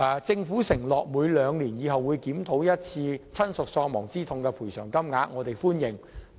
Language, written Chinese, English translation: Cantonese, 政府承諾未來會每兩年檢討一次親屬喪亡之痛賠償款額，我們對此表示歡迎。, We welcome the Governments promise of conducting biennial reviews on the bereavement sum